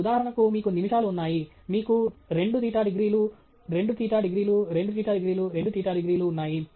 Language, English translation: Telugu, So, for example, you do have minutes, you have 2 theta degrees, 2 theta degrees, 2 theta degrees, 2 theta degrees